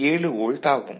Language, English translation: Tamil, 7 volt ok